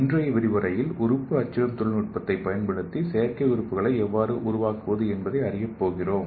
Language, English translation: Tamil, In today’s lecture we are going to learn how to make artificial organs using organ printing technology